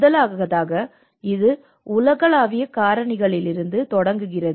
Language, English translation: Tamil, First of all, it starts from the global drivers